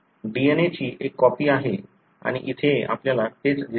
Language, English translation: Marathi, There is a copying of the DNA and, and exactly that is what you see here